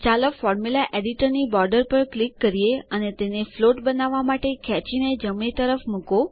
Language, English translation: Gujarati, Let us click on the Formula Editor border and drag and drop to the right to make it float